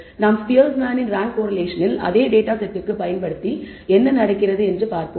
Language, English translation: Tamil, Let us apply de ne Spearman’s rank correlation apply it to a same data set and see what happens